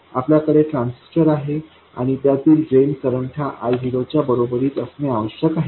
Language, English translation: Marathi, We have a transistor and the drain current of this must become equal to I 0